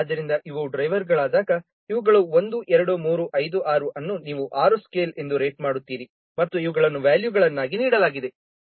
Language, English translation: Kannada, So when these are the drivers, these are the 1, 2, 6, it is rated as 6 scale and these are the values, these have been given